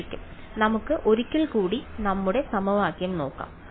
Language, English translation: Malayalam, So, let us just look at our equation once again